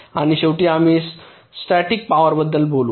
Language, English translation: Marathi, ok, and lastly, we talk about static power